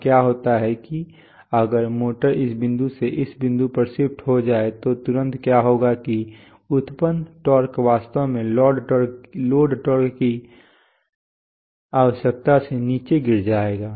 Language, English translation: Hindi, Now what happens is that if the motor shift from this point to this point, immediately what will happen is that the generated torque will actually fall below the load torque requirement